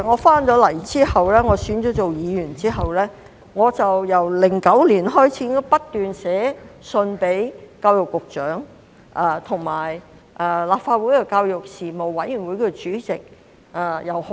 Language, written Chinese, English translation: Cantonese, 當我回港並當選議員後，自2009年起已不斷致函教育局局長和立法會的教育事務委員會主席。, After I returned to Hong Kong and was elected as a Member I have been writing to the Secretary for Education and the Chairman of the Legislative Council Panel on Education since 2009